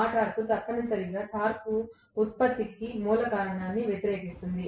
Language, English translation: Telugu, That torque essentially will oppose whatever is the root cause for the torque production